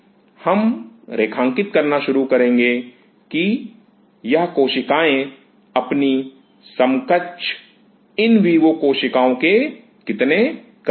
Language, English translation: Hindi, We will start to draw the lines that how close are these cells to their in vivo counter parts